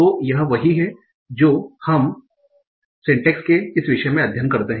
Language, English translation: Hindi, So this is what we study in this topic of syntax